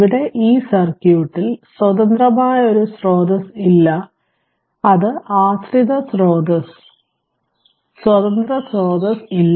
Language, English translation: Malayalam, Now, here in this circuit, there is no independent source it is dependent source, there is no independent source